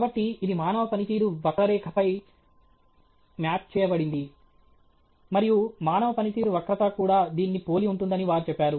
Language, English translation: Telugu, So, this has been mapped on to a human performance curve and they say human performance curve also resembles this